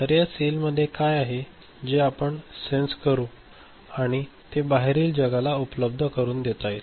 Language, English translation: Marathi, So, what is there in the cell, that we would like to sense and make it available to the outside world